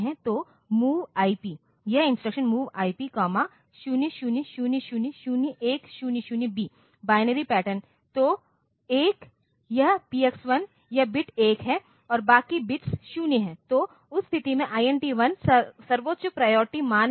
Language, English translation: Hindi, So, MOV IP, this instruction, MOV IP comma 00000100B, the binary pattern so, 1 this PX1 this bit is 1 and rest of the bits are 0